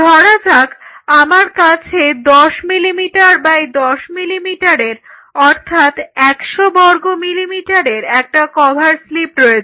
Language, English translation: Bengali, So, I say I have a cover slip of say 10 millimeters by 10 millimeters